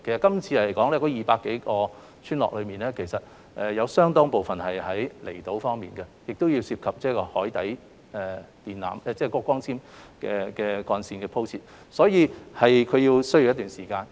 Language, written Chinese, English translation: Cantonese, 這次的200多個村落中其實有相當部分是位於離島，涉及海底電纜或光纖幹線的鋪設，所以是需要一段時間。, In this exercise a large proportion of these 200 - odd villages are located on outlying islands and the works which involve the laying of submarine cables or fibre - based cables need some time to be completed